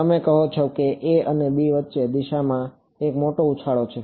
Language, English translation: Gujarati, You are saying that between a and b, there is a big jump in direction